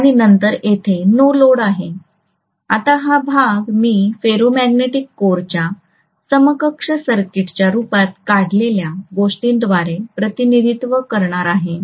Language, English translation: Marathi, Now this portion I am going to represent by what we drew as the equivalent circuit of our ferromagnetic core, right